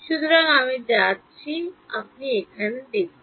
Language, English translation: Bengali, So, I am going to; so, let us look at over here